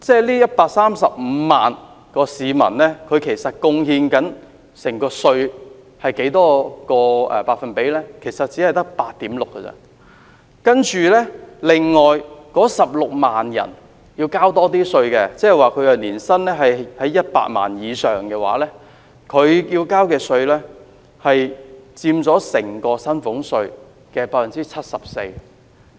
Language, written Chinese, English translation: Cantonese, 這135萬人所貢獻的稅款，其實只佔整體薪俸稅稅收的 8.6%， 而另外16萬名要繳交較高薪俸稅稅款，即年薪100萬元以上的人，他們要繳交的稅款佔整個薪俸稅稅收的 74%。, The tax payment contributed by these 1.35 million people only accounted for 8.6 % of the total salaries tax revenue and another 160 000 people paid a higher salaries tax . These people were those who earned more than 1 million a year and they made up 74 % of the total salaries tax revenue